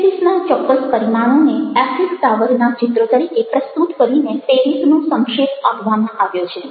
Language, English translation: Gujarati, so paris, certain dimensions of paris, epitomized by presenting paris as the image of eiffle tower